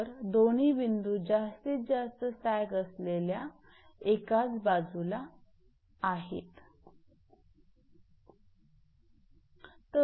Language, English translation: Marathi, So, both points are on the same side of that maximum sag